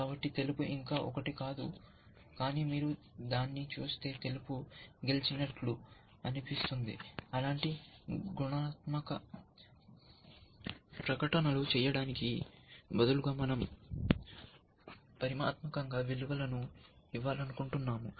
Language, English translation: Telugu, So, white is not yet one, but you look at it in say it looks like white is winning, instead of making such qualitative statements, we want to give quantitative values